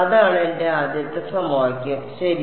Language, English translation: Malayalam, That is my first equation ok